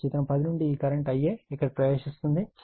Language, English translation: Telugu, So, from figure 10, these current it is entering here I a